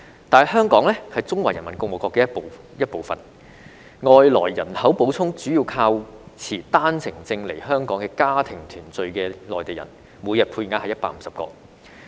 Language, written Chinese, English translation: Cantonese, 但香港是中華人民共和國的一部分，外來人口補充主要靠持單程證來香港與家庭團聚的內地人，每天配額是150個。, Yet Hong Kong is a part of the Peoples Republic of China . The major source of immigrants is Mainlanders coming to Hong Kong for family reunion on One - way Permits subject to a daily quota of 150